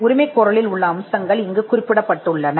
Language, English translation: Tamil, That the elements of the claim have been captured here